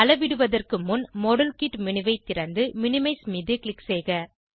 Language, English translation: Tamil, Before we measure, open the modelkit menu and click on minimize